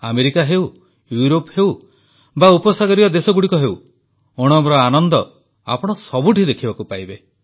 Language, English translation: Odia, Be it America, Europe or Gulf countries, the verve of Onam can be felt everywhere